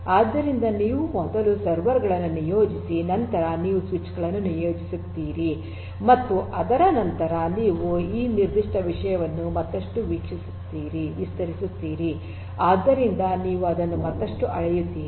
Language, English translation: Kannada, So, you deploy the servers first then you deploy the switches and thereafter you expand this particular thing further so you scale it up further